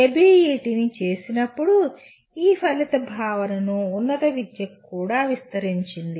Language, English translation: Telugu, As ABET has done it has extended this outcome concept to higher education as well